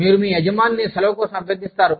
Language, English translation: Telugu, You request your boss, for leave